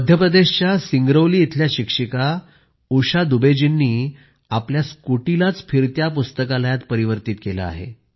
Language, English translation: Marathi, A teacher from Singrauli in Madhya Pradesh, Usha Dubey ji in fact, has turned a scooty into a mobile library